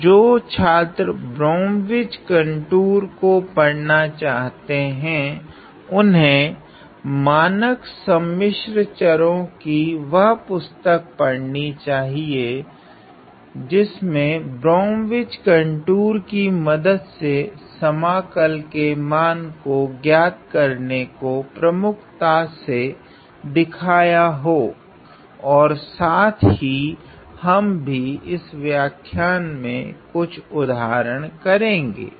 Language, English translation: Hindi, So, students who are more interested to look at Brom which contours should read a standard text in complex variables which will highlight how to evaluate integrals over Brom which contour and we are going to see some examples in this lecture as well ok